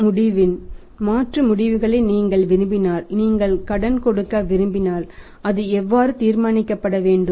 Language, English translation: Tamil, That if you want to alternative outcomes of a credit decision that if you want to give the credit then how that should be decided